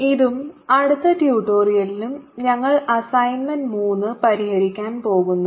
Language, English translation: Malayalam, this and the next tutorial we are going to solve assignment three